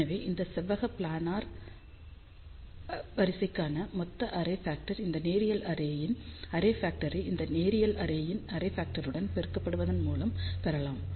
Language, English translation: Tamil, So, total array factor for this rectangular planar array can be obtained by multiplying the array factor of this linear array with this linear array